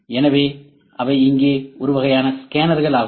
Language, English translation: Tamil, So, they are kinds of scanners here